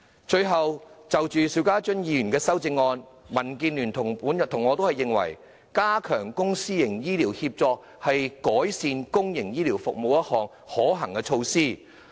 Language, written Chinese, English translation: Cantonese, 最後，就邵家臻議員的修正案，民建聯和我均認為，加強公私營醫療協作是改善公營醫療服務的一項可行措施。, Lastly with respect to the amendment proposed by Mr SHIU Ka - chun both DAB and I consider that enhancing the Public - Private Partnership Programme in healthcare is a feasible initiative